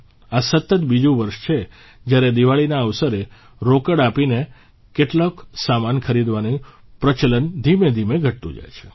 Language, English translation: Gujarati, This is the second consecutive year when the trend of buying some goods through cash payments on the occasion of Deepawali is gradually on the decline